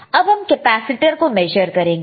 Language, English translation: Hindi, Now, let us measure the capacitor